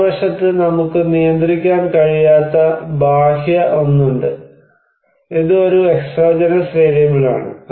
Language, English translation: Malayalam, On the other hand, we have external one which we cannot less control, is an exogenous variable